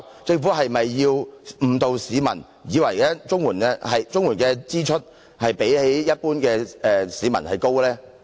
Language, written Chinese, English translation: Cantonese, 政府是否要誤導市民，令他們以為綜援住戶的支出較一般市民高呢？, Is the Government trying to mislead the public making them think that the expenditure of CSSA households is higher than that of the general public?